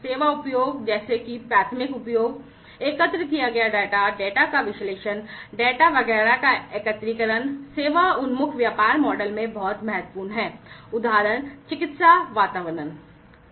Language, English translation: Hindi, Service offerings such as the primary utilization, the data that is collected, analysis of the data, aggregation of the data etcetera, are very important in the service oriented business model; examples are medical environments